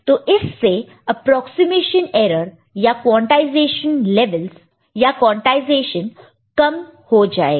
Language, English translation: Hindi, So, that way the approximation error or quantization will be reduced